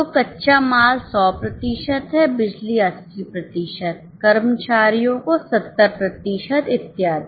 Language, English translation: Hindi, So, raw material is 100%, power 80%, employee 70%, and so on